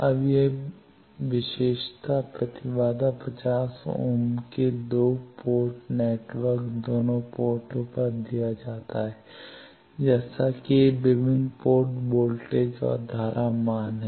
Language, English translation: Hindi, Now, it 2 port network with characteristic impedance 50 ohm is given at both ports, such that these are the various port voltage and current values